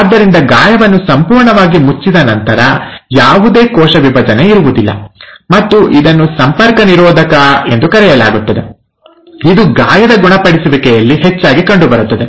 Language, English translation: Kannada, So once the wound has been completely closed, there will not be any further cell division, and this is called as ‘contact inhibition’, which is very often seen in wound healing